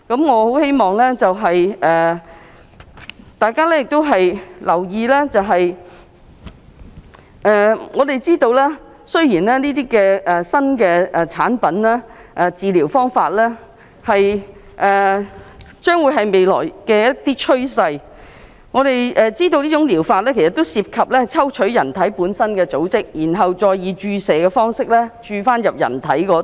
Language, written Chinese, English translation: Cantonese, 我希望大家留意，雖然這些新產品和治療方法是未來的新趨勢，但它們涉及抽取人體本身的組織，然後再以注射方式注入身體。, I hope Members will take note that these new products and therapies are the future prevailing trend but they involve drawing human tissues and infusing them back into the human body